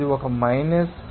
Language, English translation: Telugu, It is there one minus 0